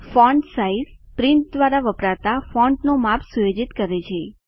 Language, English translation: Gujarati, fontsize sets the font size used by print